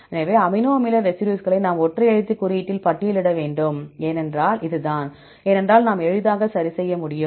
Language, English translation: Tamil, So, we have to list the amino acid residues in single letter code, right this is because then only, we can easily match ok